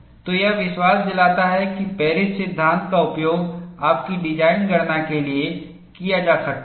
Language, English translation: Hindi, So, this gives a confidence that Paris law could be utilized for your design calculation